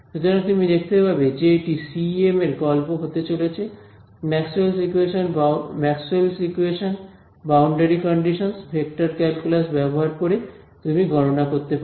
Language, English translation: Bengali, So, you will find that this is going to be the story of CEM, using Maxwell’s equations, boundary conditions, vector calculus you can calculate everything ok